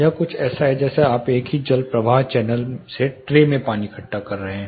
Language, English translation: Hindi, It is something like you are collecting water in tray from the same water flow channel